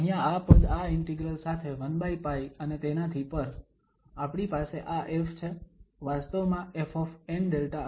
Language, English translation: Gujarati, The term here with this integral 1 over pi and so on, we have this F, indeed F and n Delta alpha